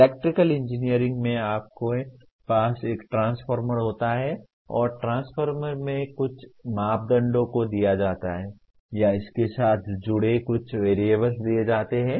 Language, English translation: Hindi, In electrical engineering you have a transformer and some parameters of the transformer are given or some variables associated with are given